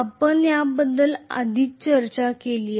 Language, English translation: Marathi, We already talked about this